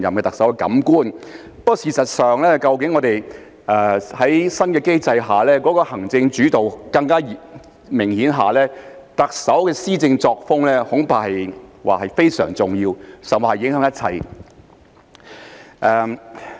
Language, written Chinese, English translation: Cantonese, 不過，事實上，在新的機制下行政主導更為明顯，特首的施政作風恐怕非常重要，甚或影響一切。, However as a matter of fact under the new mechanism the executive - led system will be more conspicuous and the Chief Executives style of governance will be of paramount importance or even have a bearing on everything